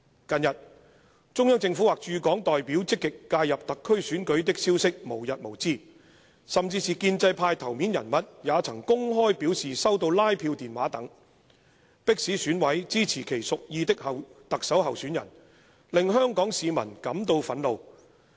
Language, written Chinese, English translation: Cantonese, "近日，中央政府或駐港代表積極介入特區選舉的消息無日無之，甚至是建制派頭面人物也曾公開表示收到拉票電話等，迫使選委支持其屬意的特首候選人，令香港市民感到憤怒。, In recent days there have been endless reports about the active interference of the Central Government or its representatives in Hong Kong in the SAR Chief Executive Election . Even important figures of the pro - establishment camp have openly revealed that they received canvassing phone calls coercing them members of the Election Committee EC to support the favoured candidate . This has angered the people of Hong Kong